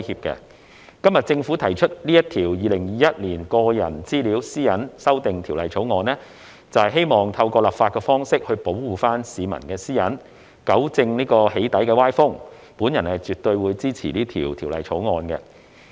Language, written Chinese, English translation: Cantonese, 今天政府提出《2021年個人資料條例草案》，就是希望透過立法的方式保護市民的私隱，糾正"起底"歪風，我絕對支持本條例草案。, Today the Government has introduced the Personal Data Privacy Amendment Bill 2021 the Bill precisely for the purpose of protecting the privacy of members of the public by means of legislation and thus rectifying the malicious trend of doxxing . I absolutely support the Bill